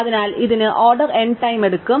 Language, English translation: Malayalam, So, this takes order n time